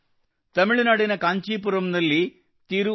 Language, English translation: Kannada, In Tamil Nadu, there is a farmer in Kancheepuram, Thiru K